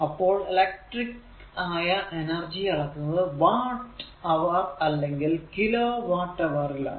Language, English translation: Malayalam, So, the electric power utility companies measure energy in watt hour or kilo watt hour right